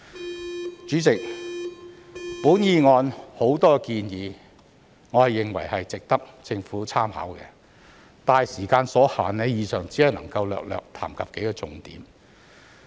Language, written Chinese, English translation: Cantonese, 代理主席，我認為議案有許多建議值得政府參考，但時間所限，以上只能略略談及數項重點。, Deputy President I think there are many suggestions in the motion that are worthy of the Governments consideration but due to time constraints I can only briefly touch on a few key points